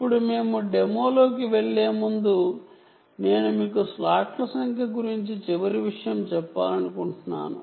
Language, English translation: Telugu, now, before we, before we, go into the demos, i want to tell you last thing about the number of slots